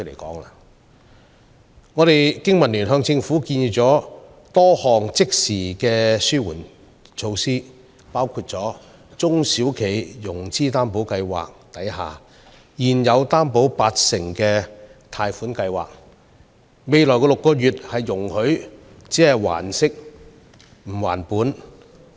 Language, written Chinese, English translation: Cantonese, 經民聯向政府建議了多項即時的紓困措施，包括容許現時在中小企融資擔保計劃下獲八成擔保額的貸款項目，在未來6個月還息不還本。, The Business and Professionals Alliance for Hong Kong has proposed to the Government a number of immediate relief measures including allowing current borrowers of 80 % Guarantee Product under the SME Financing Guarantee Scheme to repay the interest but not the principal in the next six months